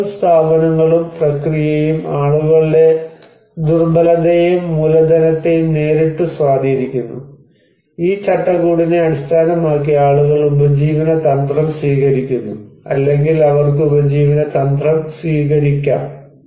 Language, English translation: Malayalam, So, policies, institutions, and process also directly influence the vulnerability and the capital of people and based on this framework people take livelihood strategy or they can take livelihood strategy